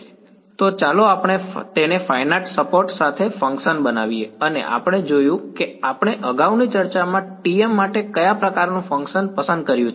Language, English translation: Gujarati, So, let us make it into a function with finite support right and we have seen what kind of function did we choose for the T m in our earlier discussion